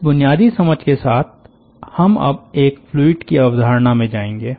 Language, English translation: Hindi, with this basic understanding, we will now going to the concept of a fluid